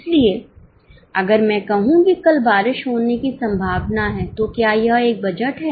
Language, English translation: Hindi, So, if I say that tomorrow it is likely to rain, is it a budget